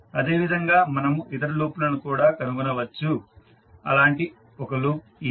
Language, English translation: Telugu, Similarly, we can find other loops also, one such loop is this one